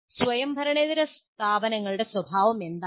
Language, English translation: Malayalam, Now, what is the nature of this non autonomous institution